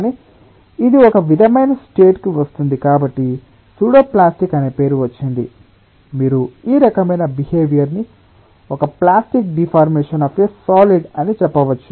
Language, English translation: Telugu, so the name pseudo plastic comes from the fact that you may relate this type of behaviour with the plastic deformation of a solid